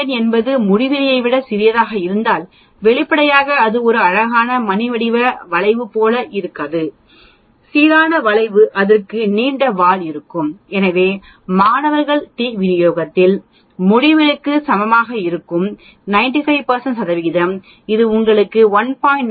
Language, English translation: Tamil, Where n is smaller than infinity, obviously it will not look like a beautiful bell shaped curve, uniform curve it will have a longer tail so when n equal to infinity in student distribution for a 95 percent it gives you t of 1